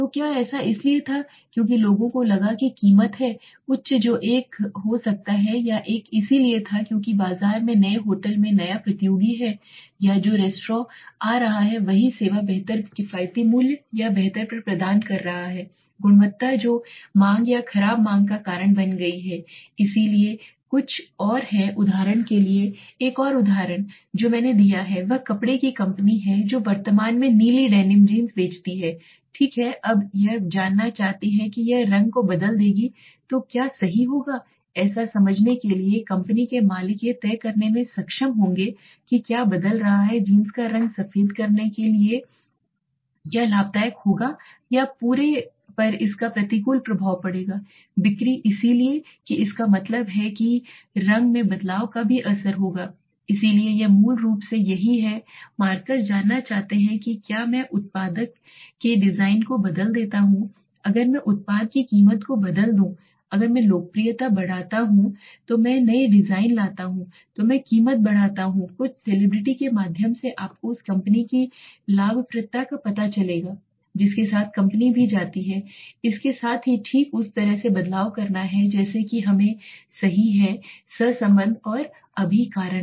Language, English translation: Hindi, So was it because the people felt the price is high that could be one or was it because that there is new competitor in the market new hotel or restaurant coming of which is providing the same service at a better affordable price or better quality which has become the reason the for the demand or poor demand so there is some more examples for example another example I have given is clothing company currently sells blue demin jeans okay now it wants to know suppose it would change the color to white what will happen right so to understand this company boss will be able to decide whether changing the color of the jeans to white would it be profitable or would it have an adverse effect on the entire sales so that means the change in color will it also have an effect so this is basically what markers want to know if I change the design of the product if I change the price of the product if I increase the price if I decrease the price if I bring newer designs if I increase the popularity through some celebrity will the brand you know the profitability of the company also go with change with it right similarly there is something we have to understand between what is the correlation and the causation right now